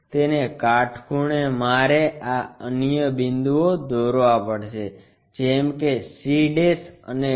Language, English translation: Gujarati, Perpendicular to that I have to draw this other points like c' and d'